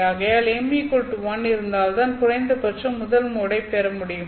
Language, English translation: Tamil, So, m has to be equal to 1 at least in order to get the first mode